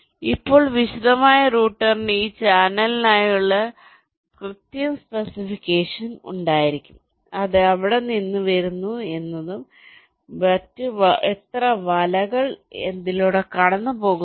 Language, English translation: Malayalam, so now detailed router will be having the exact specification for this channel: how many nets are going through it, from where it is coming from, when it is going and so on